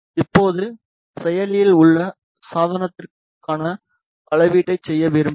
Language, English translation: Tamil, Now, we would like to do the measurement for active device